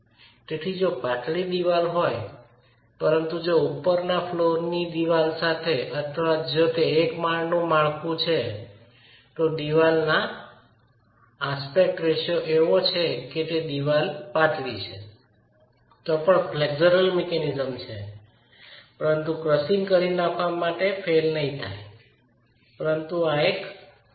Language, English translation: Gujarati, So, you have a slender wall but if you have this is a top story wall or if it is a single story structure and the wall aspect ratio is such that it is slender, you can still have a flexual mechanism but it will not fail in crushing but it will rock